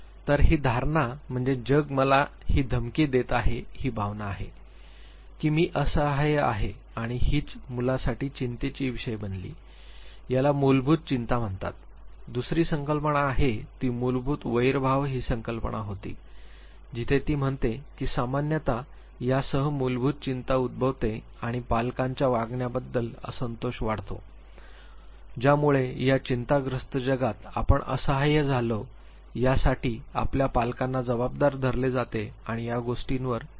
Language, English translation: Marathi, So, the perception is the world is threatening the feeling is that I am helpless and this becomes source of anxiety for the child this is what she calls as basic anxiety, the second concept that she launched was the concept of basic hostility where she says that usually this is accompanied by basic anxiety and grows out of resentment over the parental behavior that led to anxiety in the first place means as a child you hold your parent responsible for making you helpless feel helpless in this threatening world and you resent to it